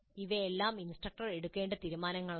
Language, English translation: Malayalam, So these are all the decisions that the instructor has to make